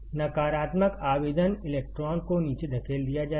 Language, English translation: Hindi, Negative apply, electron will be pushed down